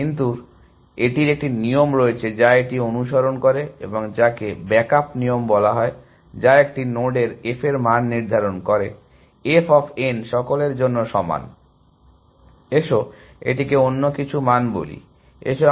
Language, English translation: Bengali, But, it has a rule which it follows and which is called as a backup rule, which determines the f value of a node, f of n is equal to all let us call it some other value